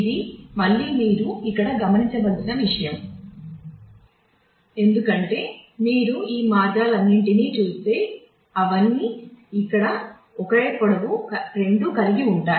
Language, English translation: Telugu, This is again something you should observe here, because if you if you see all of these paths all of them have the same length here then the length is 2